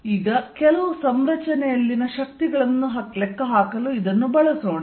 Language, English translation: Kannada, So, now let use this to calculate forces on some configuration